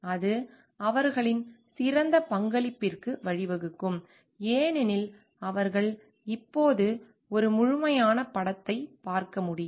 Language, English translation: Tamil, And that may lead to their better contribution because they can see a holistic picture now